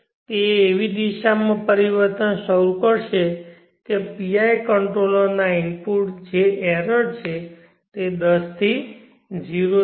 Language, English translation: Gujarati, change in such a direction that the input to the pi controller which is the error will 10 to 0